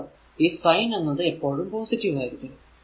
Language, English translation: Malayalam, So, all these cases sign is positive